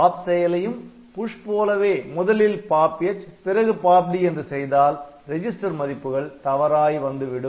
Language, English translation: Tamil, So, if you do it do by mistake if you do here POP D, POP H and POP D then the register values will be corrupted